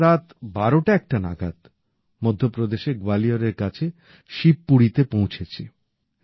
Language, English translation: Bengali, Past midnight, around 12 or 1, we reached Shivpuri, near Gwalior in Madhya Pradesh